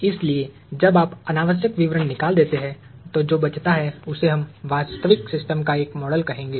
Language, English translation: Hindi, So, after you throw out the unessential details, what remains is what we will call a model of the real system